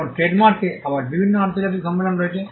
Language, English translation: Bengali, Now, trademark again has different international conventions